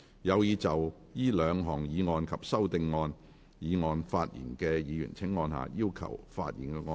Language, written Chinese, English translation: Cantonese, 有意就這兩項議案及修訂議案發言的議員請按下"要求發言"按鈕。, Members who wish to speak on the two motions and the amending motion will please press the Request to speak button